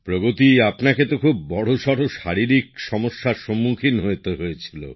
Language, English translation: Bengali, Pragati, you were facing a big problem physically